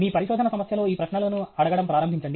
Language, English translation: Telugu, Start asking these questions in your research problem